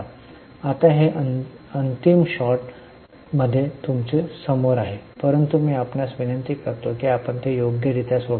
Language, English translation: Marathi, Now, this is in front of you in final shot, but I request you to properly solve it yourself